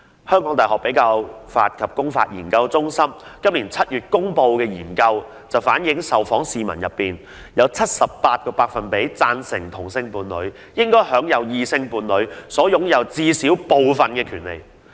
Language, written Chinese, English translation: Cantonese, 香港大學比較法及公法研究中心在本年7月公布了一項研究結果，當中指出在受訪市民中，有 78% 贊成同性伴侶應享有異性伴侶所擁有的部分或所有權利。, In July this year the Centre of Comparative and Public Law of the University of Hong Kong published the findings of an opinion poll . The findings show that 78 % of the respondents agree that same - sex couples should have some or all of the rights enjoyed by different - sex couples